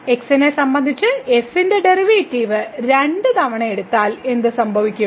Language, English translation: Malayalam, So, what will happen if we take for example, the derivative of with respect to two times